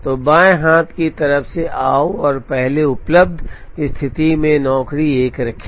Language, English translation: Hindi, So, come from the left hand side and place job 1 in the first available position